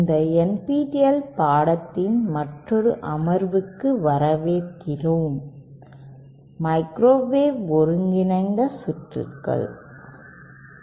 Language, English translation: Tamil, Welcome to another session of this NPTEL course ÔMicrowave integrated circuitsÕ